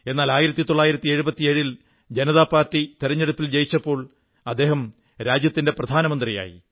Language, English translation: Malayalam, But when the Janata Party won the general elections in 1977, he became the Prime Minister of the country